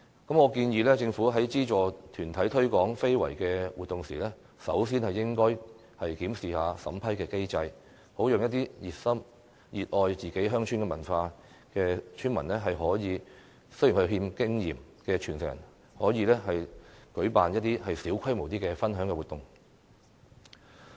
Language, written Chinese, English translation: Cantonese, 我建議政府在資助團體推廣非遺活動時，首先應該檢視審批機制，讓熱心、熱愛自己鄉村文化但又欠缺經驗的傳承人舉辦一些小規模的分享活動。, I advise the Government to first review the vetting and approval mechanism when subsidizing ICH - related promotion activities held by any groups so that people who are enthusiastic to share their beloved rural culture but lack the experience will be able to hold small - scale sharing activities